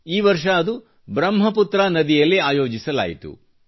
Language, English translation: Kannada, This year it was held on the Brahmaputra river